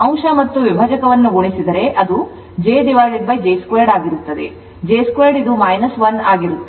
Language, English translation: Kannada, If you multiplying numerator and denominator it will be j by j square j square is minus